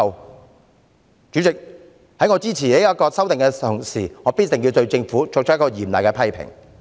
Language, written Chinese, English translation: Cantonese, 代理主席，在我支持《條例草案》的同時，必須對政府作出嚴厲的批評。, Deputy President while I support the Bill I must severely criticize the Government